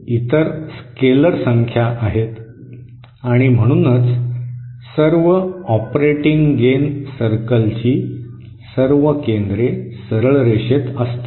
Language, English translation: Marathi, Others are scalar quantities and therefore all the centres of all the operating gain circles will lie on a straight line